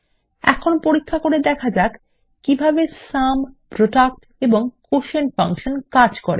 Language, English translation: Bengali, Now lets perform some operations to check how the Sum, Product and the Quotient functions work